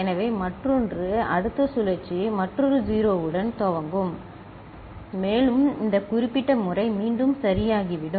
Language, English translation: Tamil, So, other one will, the next cycle will start with another 0 and this particular pattern will get repeated ok